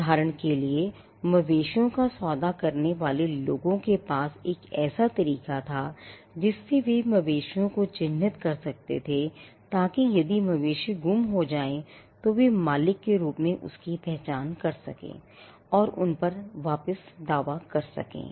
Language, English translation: Hindi, For instance, people who dealt with cattle had a way by which they could earmark the cattle so that if the cattle got lost, they could identify that as the owners and claim it back